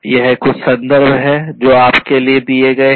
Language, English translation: Hindi, These are some of the references that have been given for you